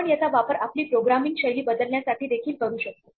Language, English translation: Marathi, We can actually use it to change our style of programming